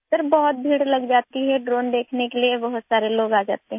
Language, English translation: Hindi, Sir, there is a huge crowd… many people come to see the drone